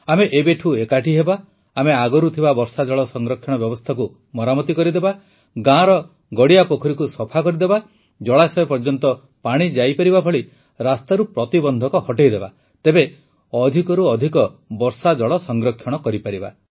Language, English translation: Odia, We shall commit ourselves to the task right now…we shall get existing rain water harvesting systems repaired, clean up lakes and ponds in villages, remove impediments in the way of water flowing into water sources; thus we shall be able to conserve rainwater to the maximum